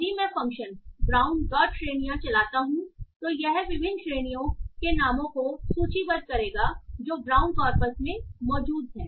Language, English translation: Hindi, So brown dot words function will give you the list of the words or tokens that are present in the brown corpus